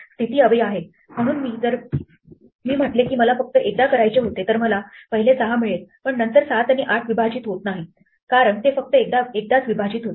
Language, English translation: Marathi, So, if I say I only wanted to do it once then I get the first 6, but then 7 and 8 does not get split because it only splits once